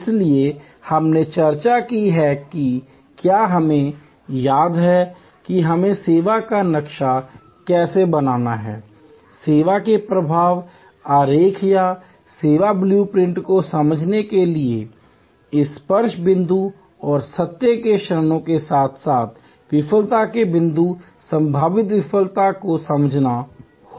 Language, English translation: Hindi, So, we discussed if we remember that how we need to map the service, understand the flow of service, the flow diagram or the service blue print to understand this touch points and the moments of truth as well as the points of failure, possible failure